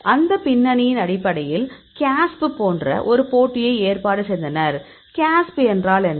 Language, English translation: Tamil, Based on that background, they organized a competition like the casp; what is casp